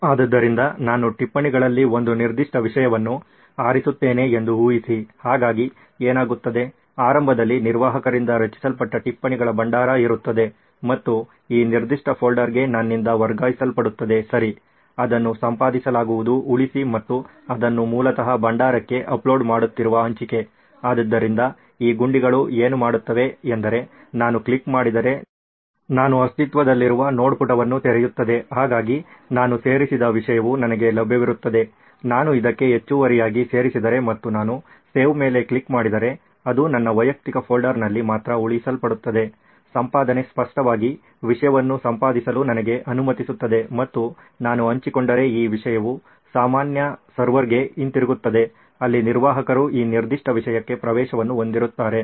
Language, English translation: Kannada, So imagine I choose a certain subject in notes, so what happens would be that, there would be an existing repository of notes that is been initially created by the admin and transferred to this particular folder by me right okay, it will be edit, save and share which is basically uploading it back into the repository, so what these buttons would do is that if I click on I open an existing node page, so there is the content that I have added available to me, if I make any addition to it and I click on save it gets saved into only my personal folder, edit obviously allows me to edit the content and if I share then this content would be going back into the common server where the admin would have access to this particular content